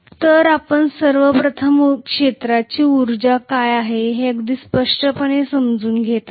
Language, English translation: Marathi, So we are first of all going to understand very clearly what is field energy